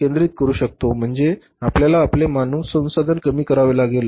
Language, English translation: Marathi, You have to reduce your human resources